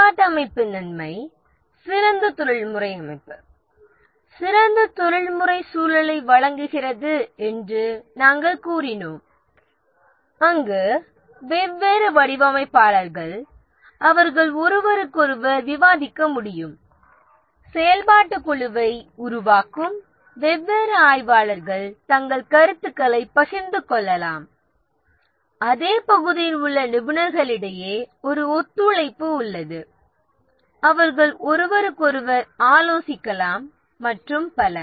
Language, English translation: Tamil, The advantage of the functional organization, as we said, that it provides better professional organization, better professional environment where the different designers they can discuss with each other, the different analysts who form a functional group can share their ideas